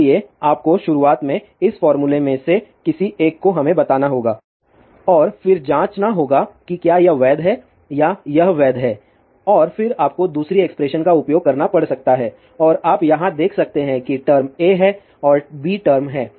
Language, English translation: Hindi, So, you have to us any one of this formula in the beginning and then check whether this is valid or this is valid and then you may have to use another expression and you can see over here the term A is there and term B is there